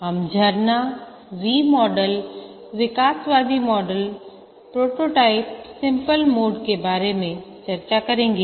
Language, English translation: Hindi, We'll discuss about the waterfall, V model, evolutionary prototyping spiral model